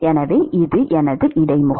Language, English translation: Tamil, So, this is my interface